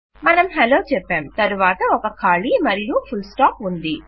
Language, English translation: Telugu, Weve got Hello and then a blank here with a full stop